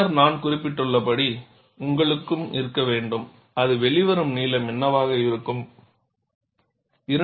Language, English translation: Tamil, Then, as I mentioned, you also need to have, what should be the length that it comes out